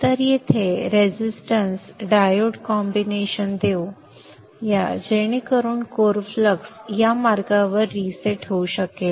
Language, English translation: Marathi, So let us provide a resistance diode combination here such that the core flux can get reset during in this path